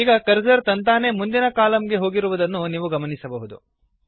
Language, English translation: Kannada, You see that the cursor comes on the next page